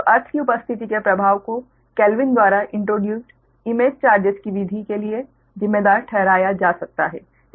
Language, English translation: Hindi, so the effect of presence of earth can be your, accounted for the method of image charges introduced by kelvin, right